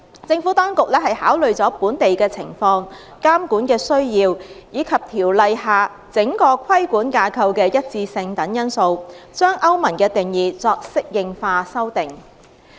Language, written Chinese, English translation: Cantonese, 政府當局考慮了本地的情況、監管的需要，以及《條例》下整個規管架構的一致性等因素，將歐盟的定義作適應化修訂。, The Administration had considered the local circumstances regulatory need and consistency with the overall regulatory framework under the Ordinance before adapting the EU definitions